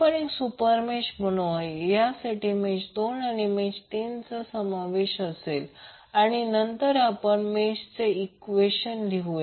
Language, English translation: Marathi, So we will create one super mesh containing mesh 2 and 3 and then we will write the mesh equation